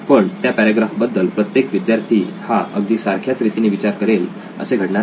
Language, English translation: Marathi, But every student need not necessarily be thinking the same thing about that paragraph